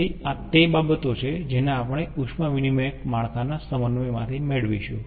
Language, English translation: Gujarati, so these are the thing we will get from ah, the um heat exchanger networks synthesis